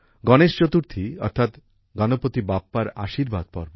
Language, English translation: Bengali, Ganesh Chaturthi, that is, the festival of blessings of Ganpati Bappa